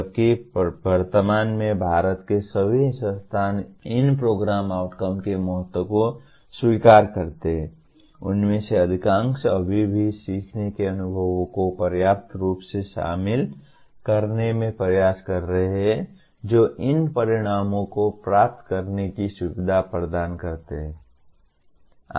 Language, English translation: Hindi, While all at present all institutions in India acknowledge the importance of these Program Outcomes, most of them are yet to make efforts in adequately incorporating learning experiences that facilitate attaining these outcomes